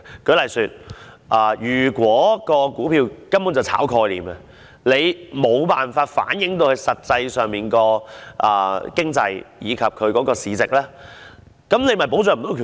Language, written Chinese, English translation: Cantonese, 舉例而言，如果某些股票根本是炒賣概念，而致無法反映實際的經濟及市值，便無法保障股民權益。, For example it certain stocks involved pure speculation of a concept their prices would not reflect their actual economic and market values . Consequently the rights and interests of investors would not be protected